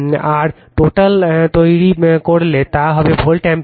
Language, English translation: Bengali, And total if you make, it will be volt ampere